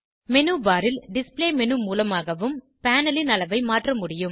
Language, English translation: Tamil, Display menu in the menu bar can also be used to change the size of the panel